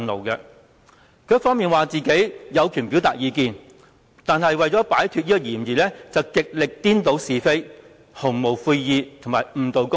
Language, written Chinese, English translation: Cantonese, 他一方面說自己有權表達意見，但另一方面為了擺脫嫌疑，竟然極力顛倒是非、毫無悔意及誤導公眾。, On the one hand he claimed that he has the right to express views and on the other hand in order to clear himself of suspicion he has done his utmost to confound right and wrong and mislead members of the public without a tinge of remorse